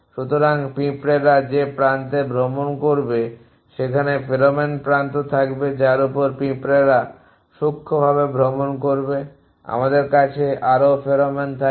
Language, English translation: Bengali, So, edges on which ants will travel will have pheromone edges on which ants will travel to fine short to us will have more pheromone